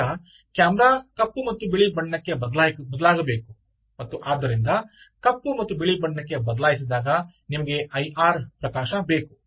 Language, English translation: Kannada, then the camera has to switch to black and white and therefore, when it is switches to black and white, you need the i r illumination